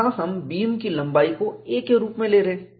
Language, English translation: Hindi, Here we are taking the length of the beam as a